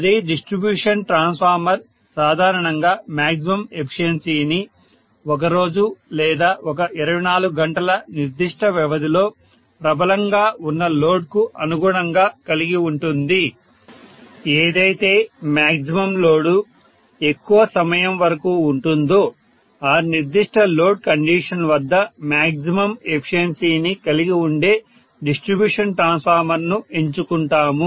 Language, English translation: Telugu, Whereas distribution transformer normally has maximum efficiency corresponding to whatever is the prevalent load for the maximum portion of the daytime or in a particular 24 hours period, whatever is the maximum amount of load that is being present for more amount of time corresponding to that we will choose a distribution transformer which will have the maximum efficiency corresponding to that particular load condition, right